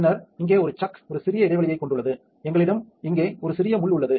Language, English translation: Tamil, And then a chuck, here has a small recess and we also have a small pin down here